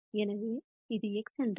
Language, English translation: Tamil, So, if this is x